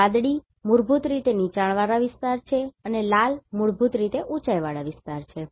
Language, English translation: Gujarati, So, blue is basically the low lying areas and red is basically elevated areas